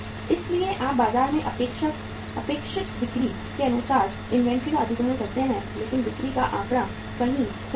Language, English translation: Hindi, So you acquire the inventory as per the expected sales in the market but sales figure got means uh somewhere misplaced